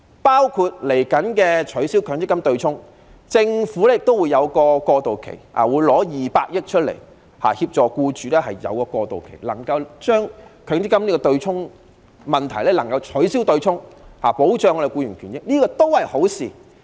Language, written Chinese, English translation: Cantonese, 對於即將取消的強積金對沖安排，政府也會實施過渡期，並撥款200億元協助僱主度過這個階段，以解決強積金對沖的問題，保障僱員權益，這亦是一件好事。, In regard to the abolition of the offsetting arrangement of the Mandatory Provident Fund MPF the Government will also introduce a transitional period and allocate 20 billion to assist employers in going through this stage with a view to resolving the offsetting issue of MPF and protecting the rights and interests of employees . This is also a desirable move